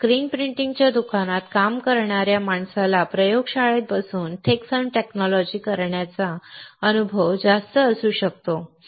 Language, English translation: Marathi, A guy working in his screen printing shop may have huge amount of experience than you will get sitting in a laboratory and doing a thick film technology right